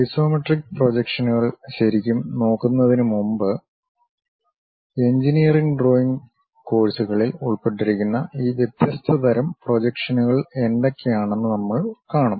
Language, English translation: Malayalam, Before really looking at isometric projections, we will see what are these different kind of projections involved in engineering drawing course